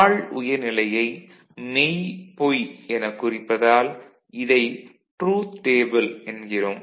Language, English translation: Tamil, These are called truth table when you are presenting in terms of low high or true and false